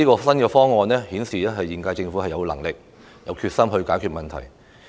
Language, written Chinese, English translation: Cantonese, 新方案顯示現屆政府既有能力也有決心解決問題。, The new proposal demonstrates that the current - term Government has both the ability and determination to resolve the problem